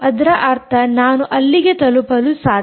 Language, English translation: Kannada, ah, that means i am able to reach to this